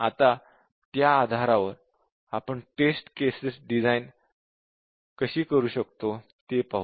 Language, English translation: Marathi, Now, based on that, let us see, how we design the test cases